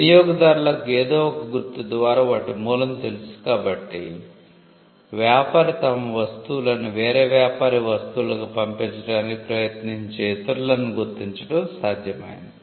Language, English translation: Telugu, And because customers know the source of origin through the mark it was possible for the trader to identify others who would try to pass off their goods as the trader’s goods